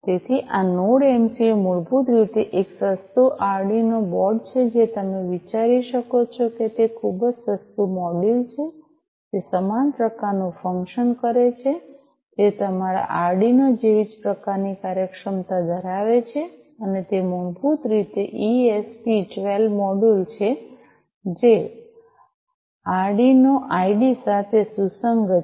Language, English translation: Gujarati, So, this Node MCU is basically a cheap Arduino board you know you can think of that way it is a very cheaper module which does similar kind of function which has similar kind of functionalities like your Arduino and it is basically an ESP 12 module which is compliant with the Arduino IDE